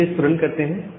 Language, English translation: Hindi, Now net let us run it